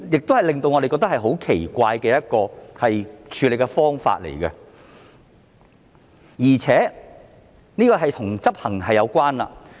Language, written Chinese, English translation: Cantonese, 這是令我們感到很奇怪的一種處理方法，而且這亦與執行有關。, We find this approach very weird . Besides law enforcement is also involved